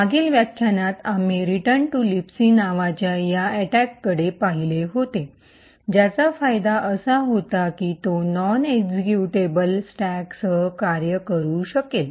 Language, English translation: Marathi, In the previous lecture we had looked at this attack call return to libc which had the advantage that it could work with a non executable stack